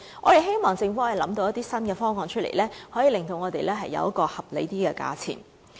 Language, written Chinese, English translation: Cantonese, 我們希望政府能想出一些新方案，令我們可爭取較合理的價錢。, We hope that the Government can devise some new proposals so that we can strive for a more reasonable price